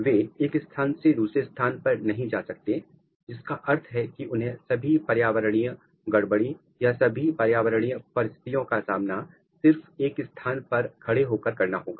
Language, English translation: Hindi, They cannot move from one place to another place which means that they have to face all the environmental disturbance or all the environmental condition just by standing at one place